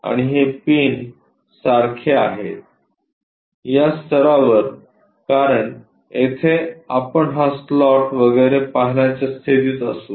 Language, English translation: Marathi, And this one like a pin up to this level because here we will be in a position to see this slot and so on